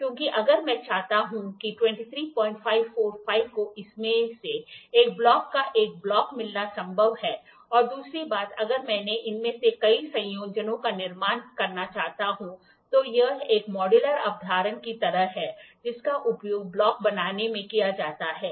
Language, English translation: Hindi, 545 getting a block of one block of this is next to possible and second thing if I want to build several of these combinations, then it is like a modular concept which is used in building up a block